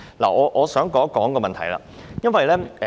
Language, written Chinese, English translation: Cantonese, 我想談論一個問題。, I want to talk about one issue